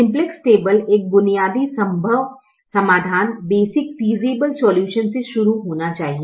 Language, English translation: Hindi, the simplex table should start with a basic, feasible solution